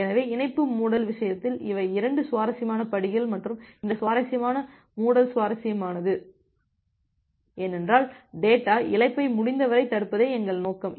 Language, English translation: Tamil, So, these are the 2 interesting steps here in case of connection closure and this connection closure is interesting because, here our objective is to prevent the data loss as much as possible